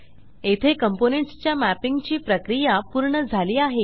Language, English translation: Marathi, Here the process of mapping the components is complete